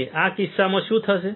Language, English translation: Gujarati, And in this case what will happen